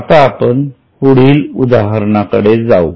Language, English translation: Marathi, Now let us go to the next one